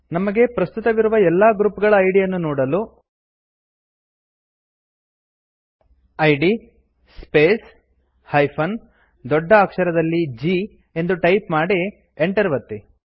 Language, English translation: Kannada, If we want to view all the current users group IDs, type id space G and press Enter